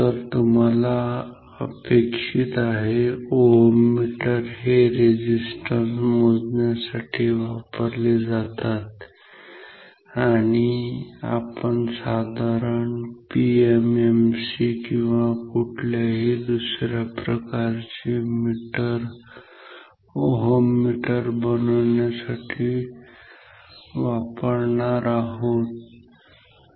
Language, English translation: Marathi, So, as you can expect oeters will be used for measuring resistance and we will use say simple PMMC or may be some other type of meters to make this oeter ok